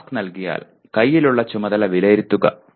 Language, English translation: Malayalam, Given a task, assess the task at hand